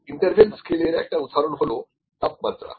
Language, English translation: Bengali, The example for the interval scale could be temperature